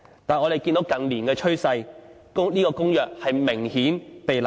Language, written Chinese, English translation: Cantonese, 但是，我們看到近年的趨勢，這公約明顯被濫用。, However we can see that the Convention is apparently being abused as shown by the trend in recent years